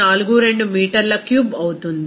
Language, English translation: Telugu, 42 meter cube